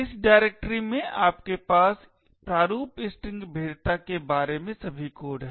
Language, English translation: Hindi, In this directory you have all the codes regarding the format string vulnerability